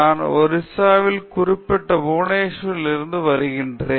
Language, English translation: Tamil, I am doing a Masters here and I am from Orissa particular Bhubaneswar